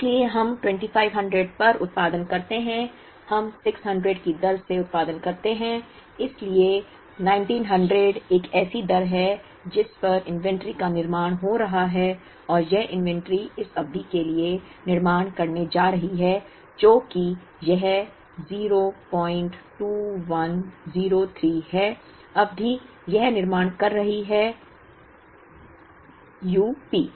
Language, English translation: Hindi, So, we produce at 2500, we consume while production at the rate of 600, so 1900 is a rate at which inventory is building up, and that inventory is building up for a period this minus this, which is 0